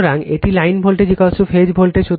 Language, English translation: Bengali, So, it is line voltage is equal to phase voltage